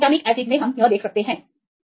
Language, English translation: Hindi, So, glutamic acid you can right it is here